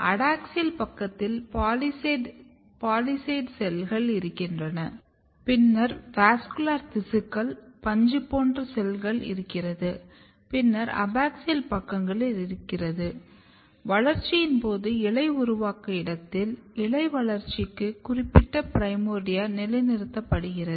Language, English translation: Tamil, So, you have adaxial side then you have palisade cell then you have in between the vascular tissues spongy cells and then you have the abaxial sides and during the development what happens that, the primordia or the program which is specific for the leaf development is getting positioned at the site of the leaf formation